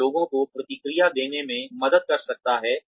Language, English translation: Hindi, It can help to give feedback to people